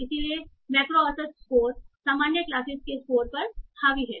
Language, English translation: Hindi, So microavage score is dominated by the score on the common classes